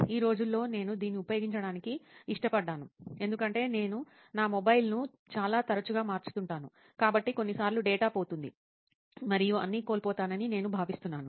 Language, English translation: Telugu, But nowadays I prefer using it because I change my mobile so often, so I think that sometimes data gets lost and all